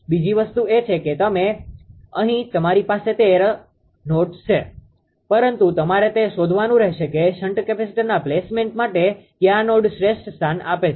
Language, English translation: Gujarati, Second thing, second thing is that there are so many here you have thirteen nodes, but you have to find out which node actually gives the best location for the placement of the shunt capacitors right